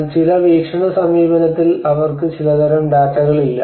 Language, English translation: Malayalam, But in certain perception approach they have lacking some kind of data